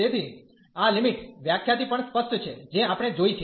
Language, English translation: Gujarati, So, this is also clear from the limit definition, which we have seen